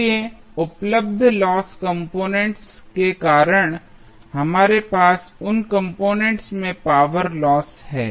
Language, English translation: Hindi, So, because of the available loss components, we have the power loss in those components